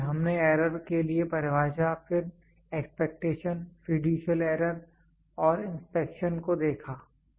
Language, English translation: Hindi, So, we saw the definition for error, then expectation, fiducial error and inspection